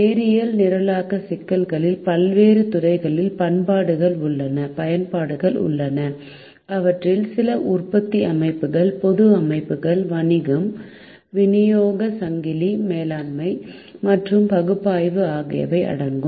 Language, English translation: Tamil, linear programming problems have applications in the various fields, some of which include manufacturing systems, publics systems, business supply chain management and analytics